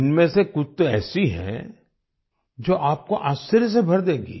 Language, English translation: Hindi, Some of these are such that they will fill you with wonder